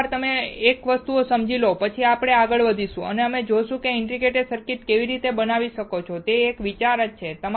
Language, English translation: Gujarati, Once you understand one thing, then we will move forward and we will see how you can fabricate a integrated circuit, that is the idea